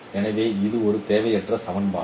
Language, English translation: Tamil, So this is a redundant equation